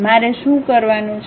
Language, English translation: Gujarati, What I have to do